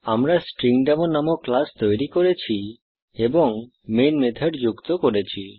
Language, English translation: Bengali, We have created a class StringDemo and added the main method